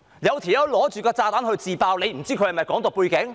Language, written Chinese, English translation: Cantonese, 如果有人手持炸彈自爆，你會不清楚他有否"港獨"背景？, If somebody has a bomb in his hand and sets it off will you not know if he has a background relating to Hong Kong independence?